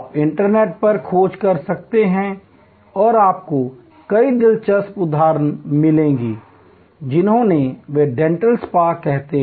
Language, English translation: Hindi, You can search on the internet and you will find many interesting instances of what they call a dental spa